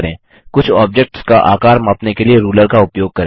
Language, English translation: Hindi, Use the ruler to measure the size of some the objects